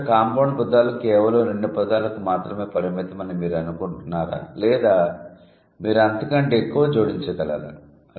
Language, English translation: Telugu, First, do you think compound words are limited to only two words or you can add more than that